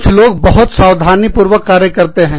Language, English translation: Hindi, Some people are very cautious